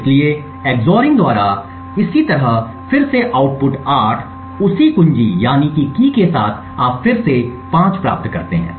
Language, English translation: Hindi, So, a similarly by EX ORING again the output 8 with that same key you re obtain 5